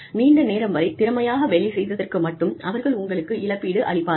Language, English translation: Tamil, They will compensate you, for working efficiently, for longer periods of time